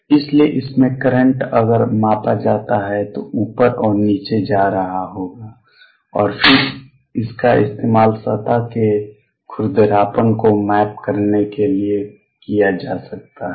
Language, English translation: Hindi, And therefore, the current in this if that is measured would be going up and down and then that can be used to map the roughness of the surface